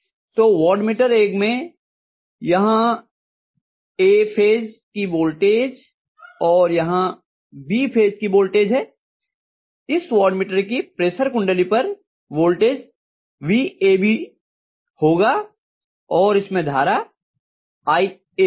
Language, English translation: Hindi, So in watt meter one I have here voltage of A phase and here voltage of B phase so I am going to get VAB as the voltage across the pressure coil of this particular watt meter and a current through this is going to be iA